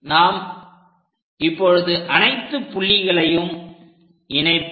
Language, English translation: Tamil, So, let us join these points which are going through it